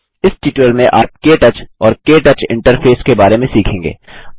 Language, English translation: Hindi, In this tutorial you will learn about KTouch and the KTouch interface